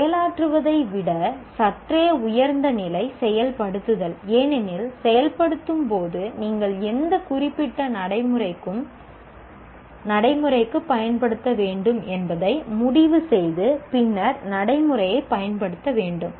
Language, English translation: Tamil, And implement is slightly higher level than execute because in implement you are required to make a decision which particular procedure you need to apply and then apply the procedure